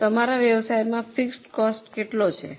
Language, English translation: Gujarati, Now what will be the fixed cost in your business